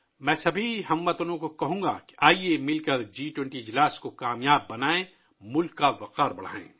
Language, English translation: Urdu, I urge all countrymen to come together to make the G20 summit successful and bring glory to the country